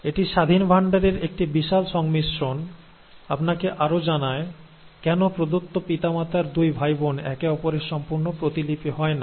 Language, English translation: Bengali, Now that is a huge combination of independent assortment, which further tells you why two different, two siblings of a given parents are not exact copy of each other